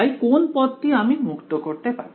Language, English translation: Bengali, So, which term can I get rid off